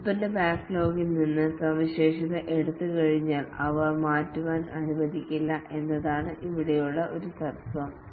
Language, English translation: Malayalam, One of the principle here is that once the feature have been taken out from the product backlog, they are not allowed to change